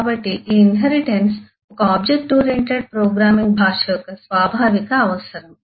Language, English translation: Telugu, so this inheritance is an inherent requirement of a object oriented programming language